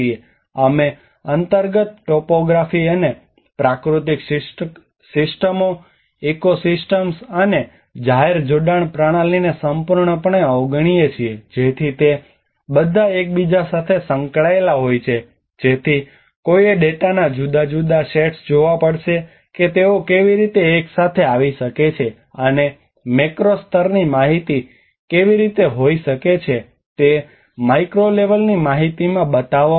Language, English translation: Gujarati, We completely ignore the underlying topography and the natural systems ecosystems, and the public linkage systems so they all are interrelated to each other so one has to see the different sets of data how they can come together, and how can macro level information can be informed the micro level information